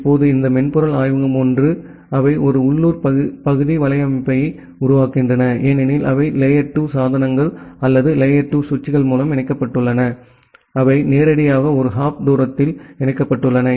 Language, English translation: Tamil, Now, this software lab 1 they form a local area network, because they are connected by layer 2 devices or the layer 2 switches, they are directly connected in one hop distance